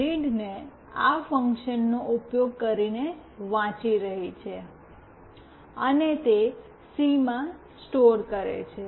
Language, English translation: Gujarati, read using this function and it is storing it in c